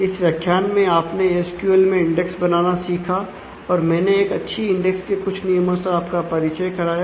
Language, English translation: Hindi, So, here in this particular module you have learned to create index in SQL and introduce few rules for good index